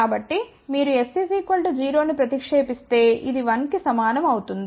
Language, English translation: Telugu, So, if you put s equal to 0, this will be equal to 1